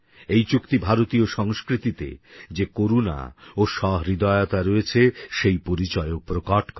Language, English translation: Bengali, This agreement also epitomises the inherent compassion and sensitivity of Indian culture